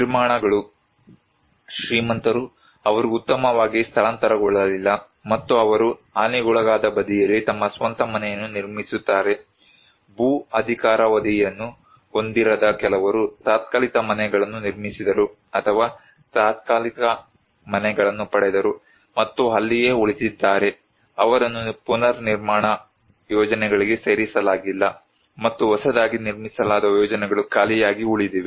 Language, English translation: Kannada, Constructions; those who are rich they did not relocate better off and they build their own house in the damaged side, some people who did not have the land tenure rights, they constructed temporary houses or got a temporary houses and remaining there, they were not included into the reconstruction projects and the newly constructed projects remain unoccupied